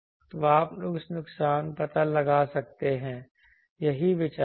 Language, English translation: Hindi, So, you can find out the loss that is the idea